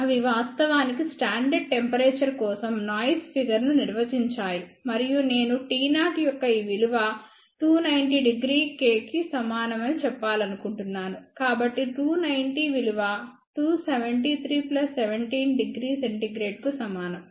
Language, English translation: Telugu, So, what they do; they actually define noise figure for a standard temperature and I just want to tell this value of T 0 is equal to 290 degree k, so 290 is equal to 273 plus 17 degree centigrade